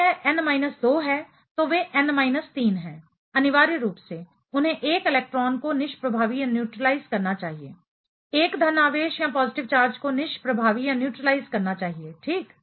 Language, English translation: Hindi, If it is n minus 2, they are n minus 3, essentially they should be neutralizing 1 electron should be neutralizing 1 positive charge right